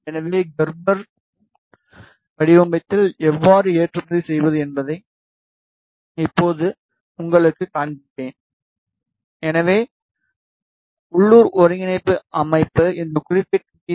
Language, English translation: Tamil, So, I will show you how to export in Gerber format right now I have aligned my local coordinate system with the upper layer of this particular PCB